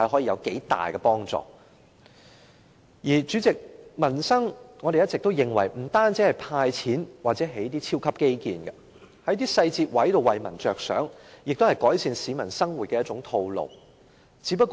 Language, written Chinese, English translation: Cantonese, 主席，我們一直認為處理民生問題，不單是派錢或興建超級基建，政府在一些細節為民設想，也是改善市民生活的一種方式。, President we always think that in dealing with livelihood issues handing out cash or building super infrastructures are not the only means; if the Government cares for the people in some trivial matters it is also a way of improving their livelihood